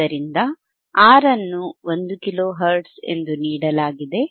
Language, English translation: Kannada, So, what is given V RR is given as 1 kilohertz